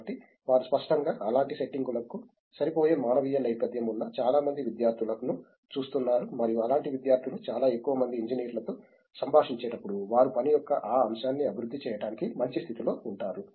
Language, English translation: Telugu, So so, they are apparently looking at a lot of students with humanities background who would fit into such settings, and such students are probably in a better position to look at develop that aspect of their work when they interact with a lot more engineers who are doing those industrial settings